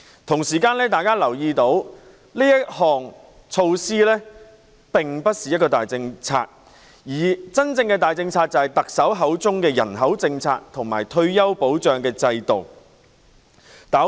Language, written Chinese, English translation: Cantonese, 同時，大家也留意到這項措施並非大政策，而真正的大政策是特首口中的人口政策和退休保障制度。, At the same time we also noticed that this measure is not a major policy whilst the major policies are actually the population policy and retirement protection system mentioned by the Chief Executive